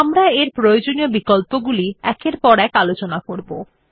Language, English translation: Bengali, It has useful options which we will discuss one by one